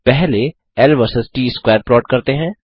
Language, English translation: Hindi, Let us first plot l versus t square